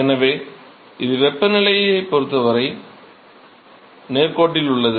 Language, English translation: Tamil, So, it is linear with respect to temperature right